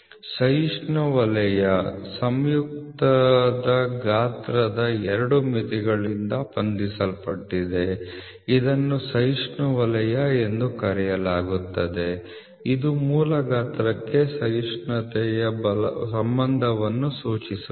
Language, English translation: Kannada, Tolerance zone, the tolerance zone that is bound by the two limits of size of the compound are called as tolerance zone, it refer to the relationship between the relationship of tolerance to basic size